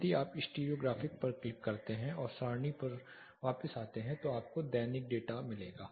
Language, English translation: Hindi, If you just click on the stereographic and come back to tabular you will get the daily data